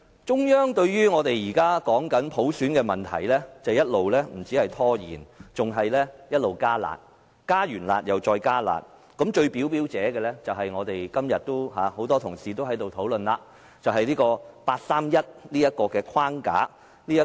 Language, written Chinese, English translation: Cantonese, 中央對於我們現時談論普選的問題，不止一直拖延，更是一直"加辣"，是"加辣"後再"加辣"，最明顯的就是很多同事今天都在討論的八三一框架。, In regard to our discussion of universal suffrage not only do the central authorities keep on procrastinating but they also keep on imposing stricter requirements with the most obvious example being the framework based on the 31 August Decision which has been frequently mentioned by many colleagues in the discussion today